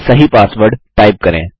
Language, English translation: Hindi, Now type the correct password